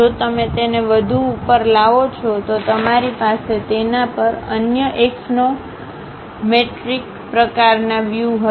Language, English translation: Gujarati, If you lift it further up, you will have it other axonometric kind of views